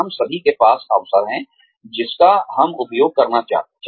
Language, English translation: Hindi, We all have opportunities, that we want to make use of